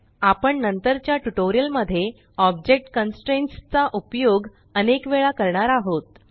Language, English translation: Marathi, We will be using object constraints many times in later tutorials